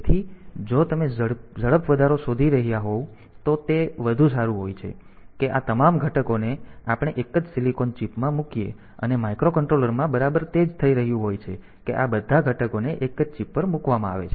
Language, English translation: Gujarati, So, it is better that all these components we put into the same silicon chip and that is exactly what is happening in microcontroller that all these components they are put onto a single chip